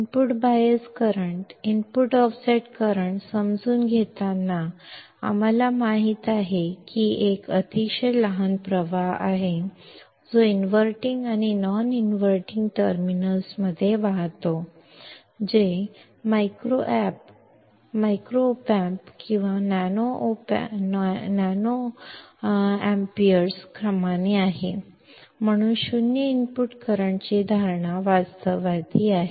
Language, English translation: Marathi, While understanding input bias current,; input offset current, we knowsaw that there is a very small current that flows into the inverting and non inverting terminals; which is in the order of microamps to nanoamps, hence the assumption of 0 input current is realistic